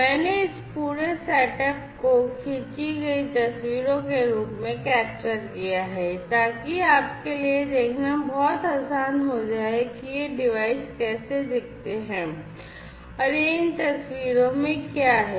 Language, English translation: Hindi, I you know I have captured this entire setup in the form of pictures taken so that it becomes very easier for you to have a glimpse of what how these devices look like and this is these pictures